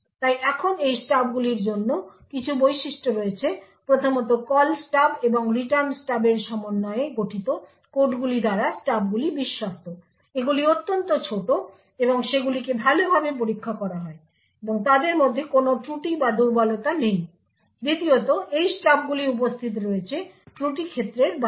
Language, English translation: Bengali, so now there are certain properties for these stubs first the stubs are trusted the code comprising of the Call Stub and the Return Stub are extremely small and they are well tested and there are no bugs or anyone vulnerabilities present in them, second these stubs are present outside the fault domain